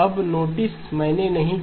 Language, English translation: Hindi, Now notice I did not say